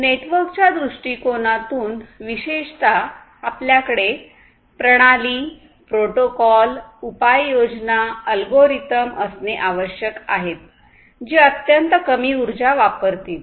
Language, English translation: Marathi, So, from a network point of view specifically we need systems, we need protocols, we need solutions, we need algorithms, which will be consuming extremely low energy